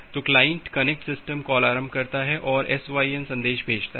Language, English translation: Hindi, So, the client initiate the connect system call and sends the SYN message